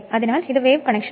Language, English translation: Malayalam, So, I mean it is for wave connection